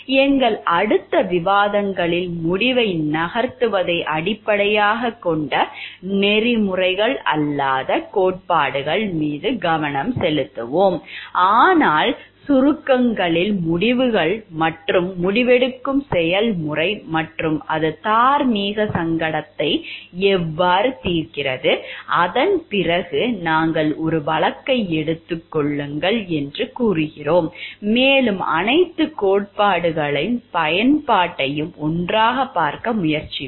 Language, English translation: Tamil, In our next discussions we will focus on the non consequential theories of ethics which are based on no not on the moving the outcome, but in the briefs the decisions and mean the process of decision making and how it solves the moral dilemma and after that we will take a case and we will try to see the application of all theories together